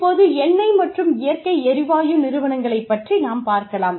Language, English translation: Tamil, Now, let us see, when we talk about oil and natural gas companies